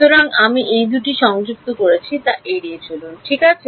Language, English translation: Bengali, So, avoid that I have combined these two all right